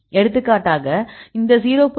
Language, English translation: Tamil, For example this is 0